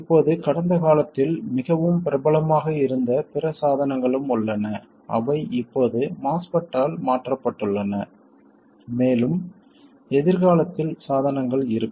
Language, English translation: Tamil, Now there have been other devices also in the past which have been more popular in the past which are now superseded by the MOSFET and there will be devices in the future